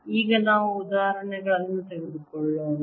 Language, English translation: Kannada, let us now take examples